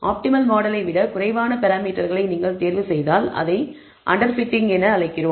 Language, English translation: Tamil, If you choose less number of parameters than the optimal model, we call this under fitting